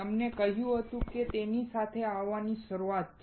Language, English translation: Gujarati, He said that coming together is beginning